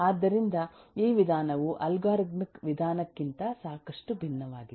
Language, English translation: Kannada, it is quite different from the way the algorithmic approach will go